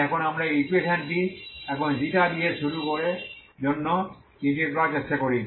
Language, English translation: Bengali, So now we try to integrate this this equation now starting with ξ